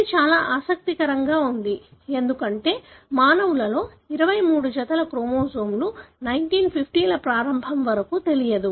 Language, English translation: Telugu, It is very interesting, because that the humans have 23 pairs of chromosomes was not known until early 1950Õs